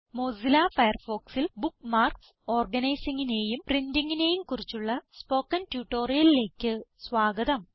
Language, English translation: Malayalam, Welcome to the Spoken Tutorial on Organizing Bookmarks and Printing in Mozilla Firefox